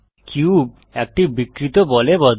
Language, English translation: Bengali, The cube deforms into a distorted ball